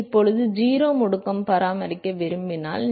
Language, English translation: Tamil, Now this is if you want to maintain 0 acceleration